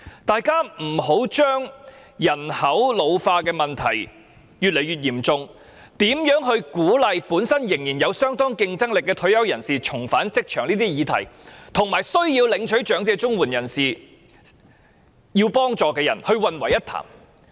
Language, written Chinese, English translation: Cantonese, 大家不要把日益嚴重的人口老化問題、如何鼓勵仍然有相當競爭力的退休人士重返職場等議題，與長者綜援的受助人混為一談。, We should not lump the worsening problem of ageing population and encouraging competitive retirees to return to the job market together with elderly CSSA recipients for discussion